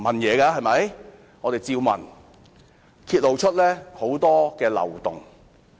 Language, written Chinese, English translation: Cantonese, 我們不斷提問，結果揭露出很多漏洞。, In the process of raising questions more loopholes were revealed